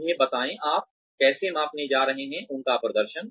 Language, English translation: Hindi, Tell them, how you are going to measure, their performance